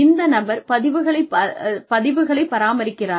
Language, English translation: Tamil, Does this person, maintain records